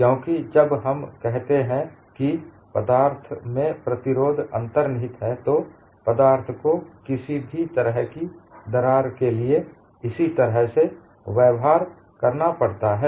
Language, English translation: Hindi, This cannot be possible, because when we say the resistance is inherent in the material, the material has to behave in a similar fashion for any lengths of cracks